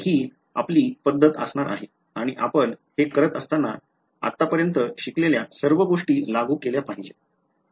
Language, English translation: Marathi, So, that is going to be the approach and we will now when we do this, we will have to apply everything that we have learned so far ok